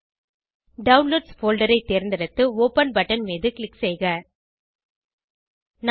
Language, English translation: Tamil, Select Downloads folder and click on open button